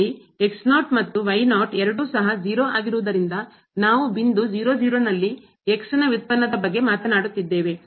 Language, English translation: Kannada, So, since and , so we are talking about the derivative at point